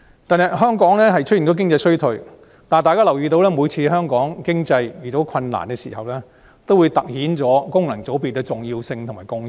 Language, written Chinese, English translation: Cantonese, 近日香港經濟已出現衰退，而每當香港遇上經濟困難，也凸顯出功能界別的重要性和貢獻。, The Hong Kong economy has recently been showing signs of recession and every time the Hong Kong economy has got into trouble the importance and contribution of FCs will be brought into the limelight